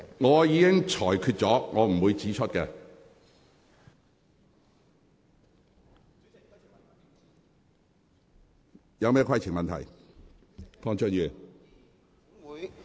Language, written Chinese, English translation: Cantonese, 我已經作出裁決，不會在此指出相關字眼。, I will not point out the wording in question here as I have already made my ruling